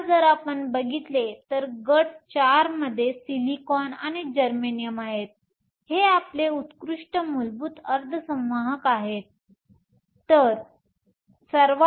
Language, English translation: Marathi, Now if you look at it, group four has silicon and germanium, which are our classic elemental semiconductors